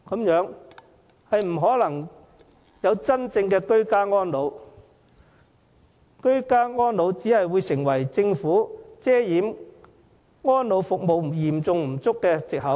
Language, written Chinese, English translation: Cantonese, 如此一來，居家安老不可能真正實現，只會淪為政府遮掩安老服務嚴重不足的藉口。, This being the case home care for the elderly will not truly materialize . Instead it will serve only as a mere excuse for the Government to cover up the acute shortage of elderly services